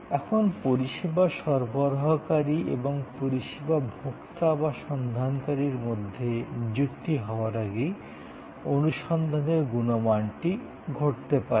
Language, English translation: Bengali, Now, search quality therefore can happen prior to the engagement between the service provider and the service seeker of the service consumer